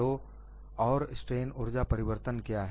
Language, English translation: Hindi, And what is the strain energy change